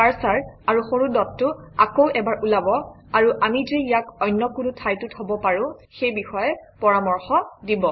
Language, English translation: Assamese, The cursor and the small dot show up once again, suggesting that we can place it at some other location also